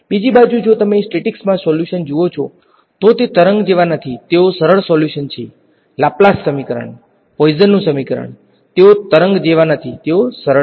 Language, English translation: Gujarati, On the other hand, if you look at the solutions in statics they are not wave like they are smooth solutions know; Laplace equation, Poisson’s equation they are not wave like they are smooth